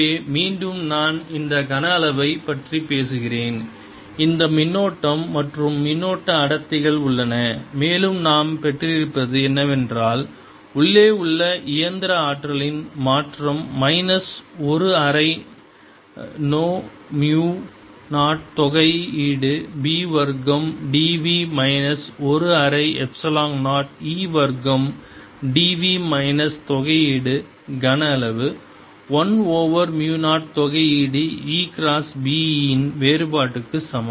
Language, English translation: Tamil, so again, i am talking about this volume inside which there are these currents and charge densities, and what we've gotten is that the change of the mechanical energy inside is equal to minus one half mu zero integration b square d v minus one half epsilon, zero